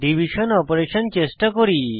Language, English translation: Bengali, Let us try the division operator